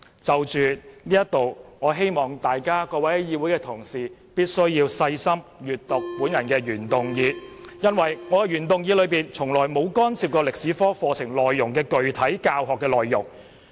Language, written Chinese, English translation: Cantonese, 就此，我希望各位議會同事細心閱讀我的原議案，我的原議案從來沒有干涉中史科課程的具體教學內容。, In this connection I really hope that Honourable colleagues would read my original motion carefully . My original motion has not mentioned the specific contents of the Chinese History curriculum